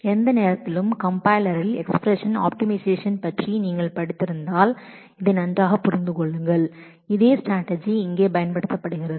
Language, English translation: Tamil, If you have studied the expression optimization in compiler at any point of time you will understand this very well, this is the same strategy which is used here